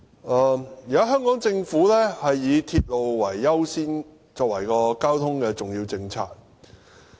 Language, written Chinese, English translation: Cantonese, 現在香港政府以鐵路優先，作為交通政策的重點。, Giving priority to railway is a major transport policy adopted by the Hong Kong Government at present